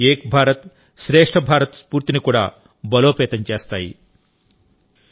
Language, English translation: Telugu, They equally strengthen the spirit of 'Ek BharatShreshtha Bharat'